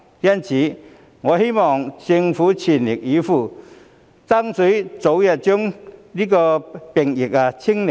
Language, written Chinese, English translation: Cantonese, 因此，我希望政府全力以赴，爭取早日把病疫"清零"。, Thus I hope that the Government will make all - out efforts to achieve zero infection as early as possible